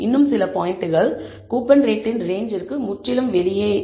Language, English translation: Tamil, Now there are some points which are completely outside the range of coupon rate